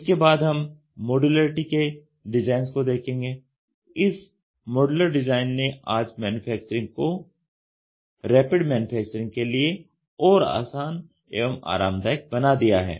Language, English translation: Hindi, Then we will try to see design for modularity, this modular design makes the manufacturing today more comfortable and easy for Rapid Manufacturing